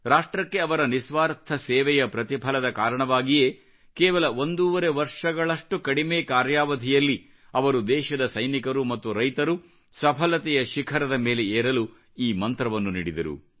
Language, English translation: Kannada, It was the result of his selfless service to the nation that in a brief tenure of about one and a half years he gave to our jawans and farmers the mantra to reach the pinnacle of success